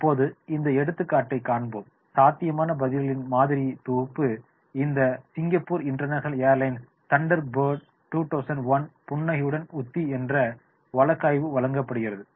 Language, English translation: Tamil, A sample set of possible answers is presented in this section to the Singapore International Airlines Strategy with a Smile that is a Thunderbird 2001 case